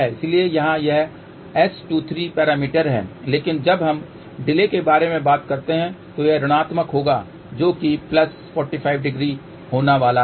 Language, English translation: Hindi, So, here this is S 23 parameter, ok but when we talk about the delay delay will be negative of that so which is going to be plus 45 degree